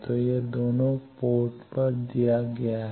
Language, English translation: Hindi, So, it is given at both ports